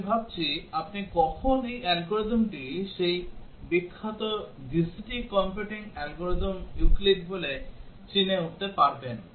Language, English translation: Bengali, I think when you would have recognized this algorithm it is the famous GCD computing algorithm Euclid